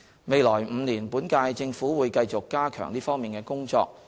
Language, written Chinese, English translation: Cantonese, 未來5年，本屆政府會繼續加強這方面的工作。, In the next five years the current - term Government will continue to strengthen the work in this aspect